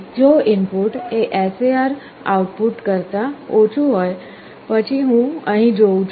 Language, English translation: Gujarati, If the if the input is less than that the SAR output; then I go here